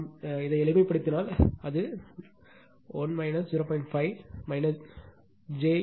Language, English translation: Tamil, If we just simplify, it will be 1 minus 0